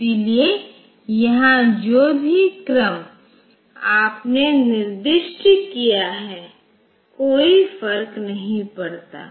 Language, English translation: Hindi, So, whatever be the order in which you have specified here